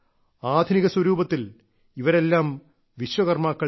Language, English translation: Malayalam, In modern form, all of them are also Vishwakarma